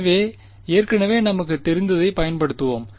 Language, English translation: Tamil, So, let us use what we already know ok